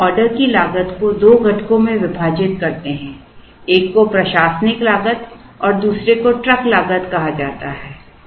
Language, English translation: Hindi, We now split the order cost into two components: one is called the administrative cost and the other is called the truck cost